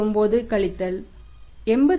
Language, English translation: Tamil, 99 crores 87